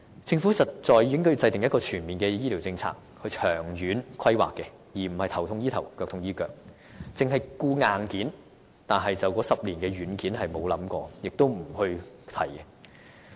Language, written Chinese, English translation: Cantonese, 政府實在應該制訂全面的醫療政策，以作長遠規劃，而非"頭痛醫頭，腳痛醫腳"，或只顧硬件，而沒有想過該10年間的軟件，而且也不願提起這些問題。, I wish Members can understand this . The Government should really formulate a comprehensive policy on health care for planning the distant future rather than addressing any problems that exist in a piecemeal manner or solely focusing on the hardware without considering the software required during the 10 - year period or even not bothered to care about the software